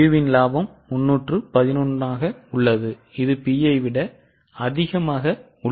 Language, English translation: Tamil, So, Q's profit will increase by more than P or less than P